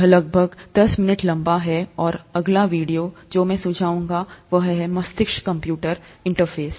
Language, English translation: Hindi, This is about ten minutes long, and the next video that I would recommend is on a brain computer interface